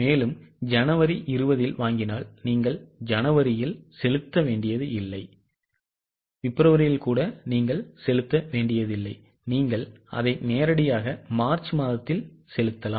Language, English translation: Tamil, So, January purchase of 20, you don't have to pay in January, you don't even have to pay in February, you can directly pay it in the month of March